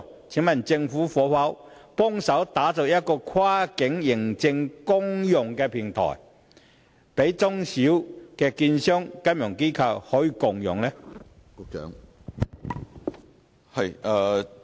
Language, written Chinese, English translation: Cantonese, 請問政府可否協助打造一個跨境認證公用平台，供中小型證券商和金融機構共用？, Being at a loss the SMEs feel helpless . Can the Government help the establishment of a common platform for cross - border authentication for use by small and medium securities dealers and financial institutions?